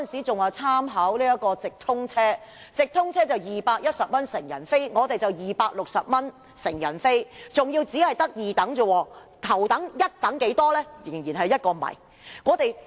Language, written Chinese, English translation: Cantonese, 直通車成人車費是210元，高鐵則是260元，但那只是二等票價，頭等、一等的票價是多少？, The adult fare of through train is 210 while the XRL fare is 260 and that is only the second class fare . How about the first class and premium class fares?